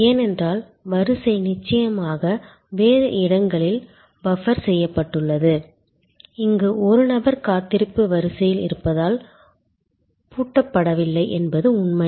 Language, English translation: Tamil, Because, the queue is buffered elsewhere of course, here the advantage is that a person is not locked in as he or she is in a waiting line